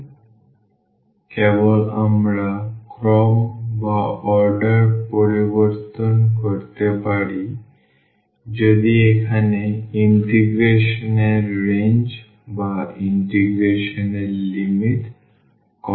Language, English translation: Bengali, So, simply we can change the order if the if the if the range here of integration or the limits of integration is or are constant